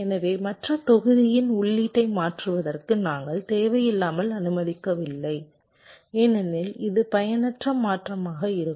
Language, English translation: Tamil, so we are not unnecessarily allowing the input of the other block to toggle, because this will be use useless transition